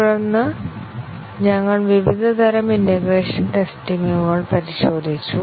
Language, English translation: Malayalam, And then we had looked at the different types of integration testing